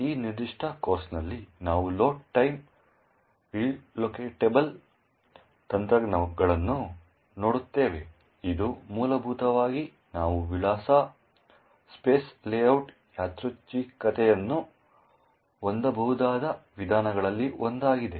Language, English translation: Kannada, In this particular course we will look at a Load Time Relocatable techniques which is essentially one of the ways we could actually have Address Space Layout randomization